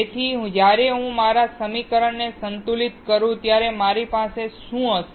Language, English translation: Gujarati, So, when I balance my equation what will I have